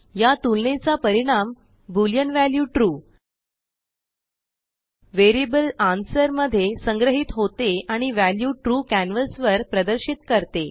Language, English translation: Marathi, The result of this comparison, the boolean value true is stored in the variable $answer and the value true is displayed on the canvas